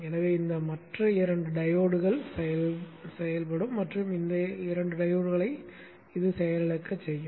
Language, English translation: Tamil, So these other two diodes will be conducting and will make these two diodes go off